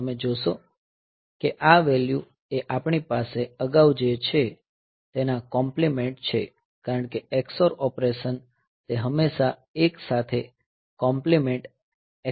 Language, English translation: Gujarati, So, you see that these value is just the complement of what we have previously because the ex or operation, it will always do the complementation x oring with 1